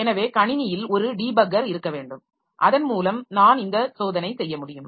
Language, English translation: Tamil, So, the system must have a debugger so that I can do this check